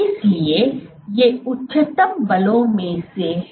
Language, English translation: Hindi, So, these are among the highest forces